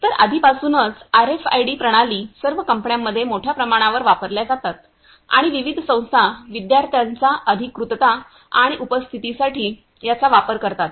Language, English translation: Marathi, So, already RFID systems are widely used in all the companies and for authorization as well as attendance purposes, various institutes also use these for student authorization and attendance